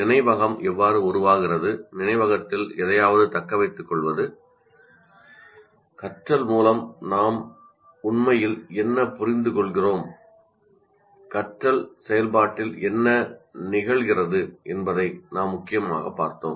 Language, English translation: Tamil, And we said we mainly looked at in how the memory is formed, how we retain something in the memory, and what do we really understand by learning, what is involved in the process of learning